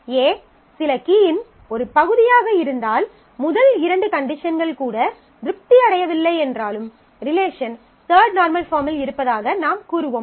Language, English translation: Tamil, So, if A is a part of some key then and the first two conditions are also not are not satisfied even then we will say that the relation is in third normal form